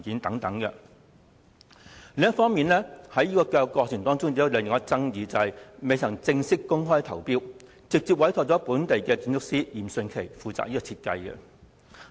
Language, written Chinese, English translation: Cantonese, 過程中另一個重大爭議，就是項目未曾正式公開招標，便直接委託本地建築師嚴迅奇負責設計。, Another major point of contention is that the design of the project has been commissioned to Rocco YIM a local architect without going through the formal procedure of open tendering